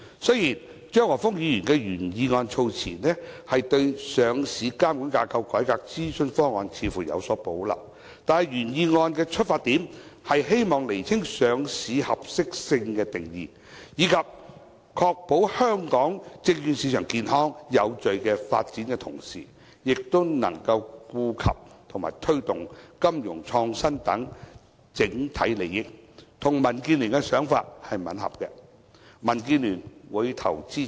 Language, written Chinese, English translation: Cantonese, 雖然張華峰議員的原議案措辭，似乎對上市監管架構改革諮詢方案有所保留，但原議案的出發點，是希望釐清上市合適性的定義，以確保香港證券市場健康有序發展的同時，能夠顧及和推動金融創新等整體利益，與民建聯的想法吻合，民建聯會表決支持。, Although the wording of Mr Christopher CHEUNGs original motion seems to have reservations about the package of proposals to the governance structure for listing regulation in the consultation the intention of the original motion is to clarify the definition of suitability for listing in order to ensure a healthy and orderly development of the stock market in Hong Kong while attending to and promoting the overall interest of financial innovation which is in line with DABs thinking and thus DAB will cast our vote of support